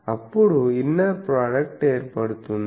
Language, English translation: Telugu, So, inner product is formed